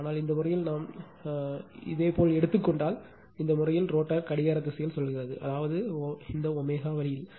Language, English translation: Tamil, But, in this case if we take in this your, what we call in this case rotor rotating in the clockwise direction that means, this way omega right